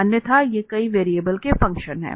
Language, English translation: Hindi, Otherwise these are the functions of several variables